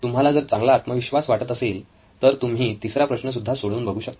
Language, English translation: Marathi, If you are very confident you can even go to the 3rd one and do it